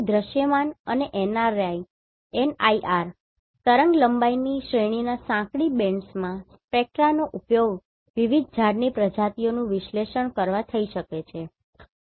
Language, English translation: Gujarati, So spectra in contiguous narrow bands across the visible and NIR wavelength range can be used for analyzing different tree species, right